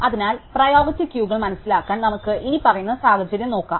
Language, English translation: Malayalam, So, to understand priority queues, let us look at the following scenario